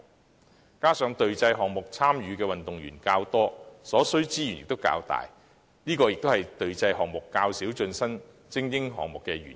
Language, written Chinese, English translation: Cantonese, 再者，參與隊際項目的運動員較多，所需資源亦較龐大，這也是隊際項目較少成為精英項目的原因。, Moreover team sports involve a greater number of athletes and require far more resources . That is why team sports rarely acquire the status of elite sports